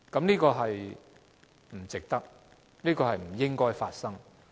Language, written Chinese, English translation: Cantonese, 這是不值得的，亦不應該發生。, This price is not worth paying; neither should this happen